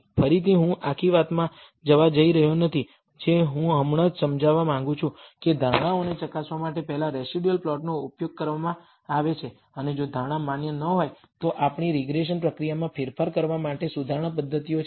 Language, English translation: Gujarati, Again, I am not going to go into the whole thing I just want to illustrate, that first the residual plots are used in order to verify the assumptions and if the assumptions are not valid then we have correction mechanisms to modify our regression procedure